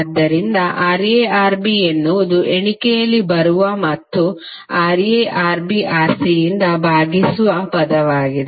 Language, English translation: Kannada, So Ra Rb is the term that which will come in numerator and divided by Ra plus Rb plus Rc